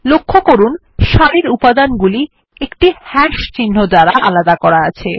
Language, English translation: Bengali, Notice that the elements in a row are separated by one hash symbol